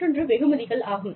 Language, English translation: Tamil, The other is rewards